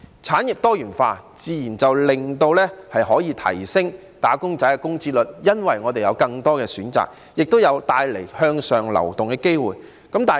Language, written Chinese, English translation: Cantonese, 產業多元化可以提升"打工仔"的工資，因為香港會有更多選擇，亦會帶來向上流動的機會。, Diversification of industries can help increase the wages of wage earners because there will be more choices in Hong Kong which will bring more opportunities for upward mobility